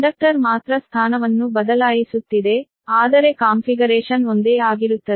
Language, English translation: Kannada, only conductor is changing position but configuration remains same right